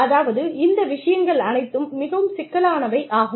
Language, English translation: Tamil, So, I mean, all of these things, are very complex